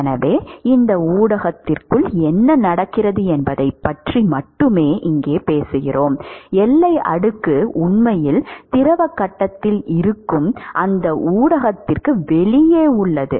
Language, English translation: Tamil, So, here we are talking only about what is happening inside this medium, when you talk about boundary layer boundary layer is actually outside that media which is actually in the fluid phase